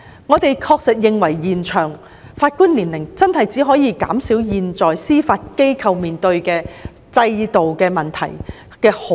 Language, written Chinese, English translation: Cantonese, 我們確實認為延長法官退休年齡只可稍微減少現時司法機構面對的制度問題。, We certainly think that extending the retirement age of Judges can only slightly alleviate the current systemic problem faced by the Judiciary